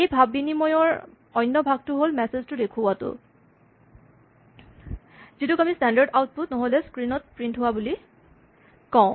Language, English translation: Assamese, The other part of interaction is displaying messages, which we call standard output or printing to the screen